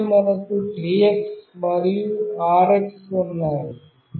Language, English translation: Telugu, And then we have TX and RX